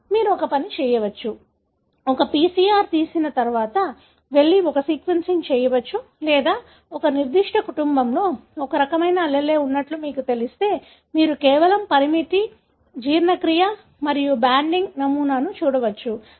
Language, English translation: Telugu, So, you can either do a, after a PCR you can go and do a sequencing or if you know such kind of alleles present in a, in a given family, you can simply do a restriction, digestion and look at the banding pattern